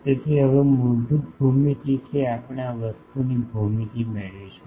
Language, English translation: Gujarati, So, from the basic geometry now we will derive the geometry of this thing